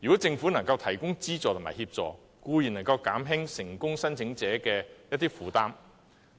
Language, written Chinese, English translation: Cantonese, 政府如能提供資助和協助，固然能減輕成功申請者的負擔。, If the Government can provide subsidies and assistance it can certainly alleviate the burden of the successful applicants